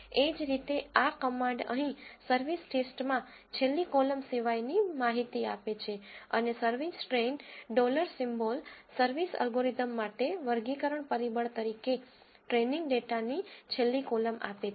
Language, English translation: Gujarati, Similarly, this command here gives the information in the service test except the last column and service train dollar symbol service gives the last column of the training data as a classification factor for the algorithm